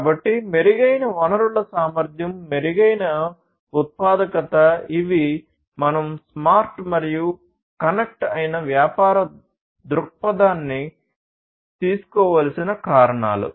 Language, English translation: Telugu, So, improved resource efficiency; improved productivity are the reasons why we need to take smart and connected business perspective